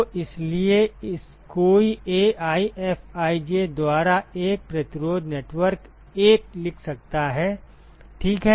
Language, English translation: Hindi, So, therefore, one could write a resistance network 1 by AiFij ok